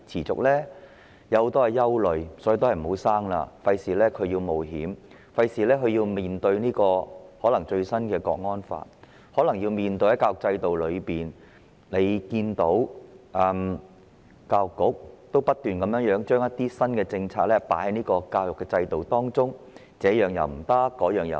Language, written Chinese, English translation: Cantonese, 我有很多憂慮，所以我不生育，以免要孩子冒險，因為要面對最新通過的《港區國安法》，要他們面對大家所見，教育局不斷將新政策納入教育制度中，禁止這樣，禁止那樣。, I have lots of worries so I will not have any children so as to avoid putting them at risk . I say so because they will have to face the Hong Kong National Security Law that has just been passed and also the Education Bureaus persistent attempts to incorporate new policies in the education system to forbid this and that just as everybody can see